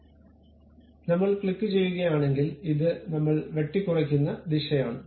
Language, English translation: Malayalam, So, if I click that this is the direction of cut what I am going to have